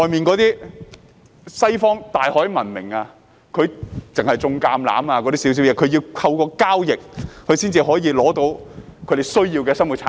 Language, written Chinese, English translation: Cantonese, 在西方大海文明下，他們只懂種植橄欖，需要透過交易才可獲取其他生活必需品。, During the days of the maritime civilization of the West people only knew how to grow olive trees and had to obtain other daily necessities through trade